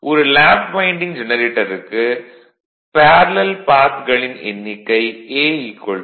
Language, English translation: Tamil, Now for a lap winding generator I told you number of parallel paths will be A is equal to P